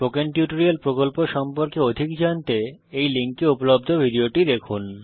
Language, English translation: Bengali, To know more about the Spoken Tutorial project, watch the video available at the following link